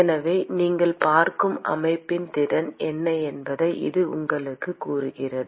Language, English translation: Tamil, So, this tells you what is the capacity of the system that you are looking at